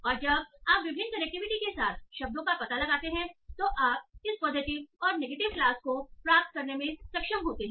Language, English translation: Hindi, And these, when you found out the words with different connectives, you were able to obtain this positive and negative loss